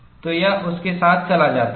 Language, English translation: Hindi, So, it goes with that